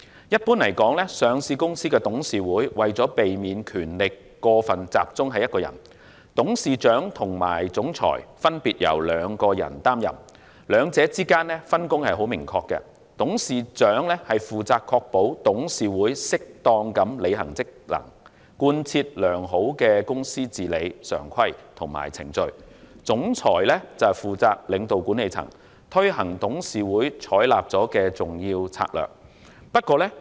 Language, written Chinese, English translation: Cantonese, 一般而言，上市公司的董事會為了避免權力過分集中，董事長和總裁分別由兩人擔任，兩者之間的分工明確，董事長負責確保董事會適當地履行職能，貫徹良好的公司治理常規及程序。總裁則負責領導管理層，推行董事會所採納的重要策略。, Generally speaking the board of directors of a public company will appoint two persons to be the Chairman and Chief Executive Officer respectively so as to avoid excessive concentration of power . The division of work between them is clear the Chairman is responsible for ensuring the proper performance of functions of the board in compliance with good corporate governance practices and procedures while the Chief Executive Officer is responsible for leading the management and implementing important strategies adopted by the board